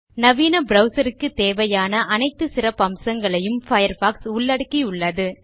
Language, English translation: Tamil, Firefox has all the features that a modern browser needs to have